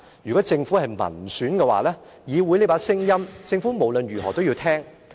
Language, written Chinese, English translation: Cantonese, 如果政府是民選的話，議會的這把聲音，政府無論如何都要聽。, If the Government is returned by the people it must listen to the voice of the legislature under any circumstances